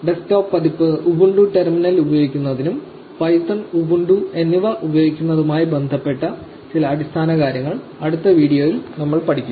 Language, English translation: Malayalam, We will learn some of the basics about ubuntu using the terminal and using python and ubuntu in the next video